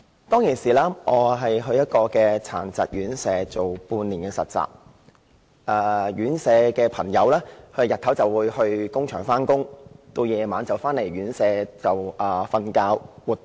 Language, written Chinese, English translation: Cantonese, 當時我前往殘疾院舍實習半年，院舍的朋友日間會到工場工作，晚上回到院舍睡覺和活動。, I was then assigned for a half - year internship to a home for persons with disabilities . The residents of the home spent the day in a workshop and returned in the evening for sleeping and various activities